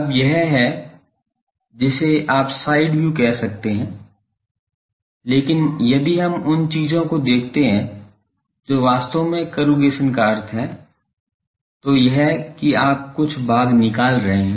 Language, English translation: Hindi, Now, this is the you can say side view, but if we look at the things actually corrugation means this that some portion you are removing the metals